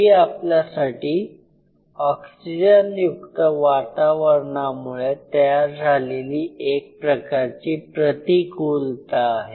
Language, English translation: Marathi, That is the penalty we pay for being an oxygenated environment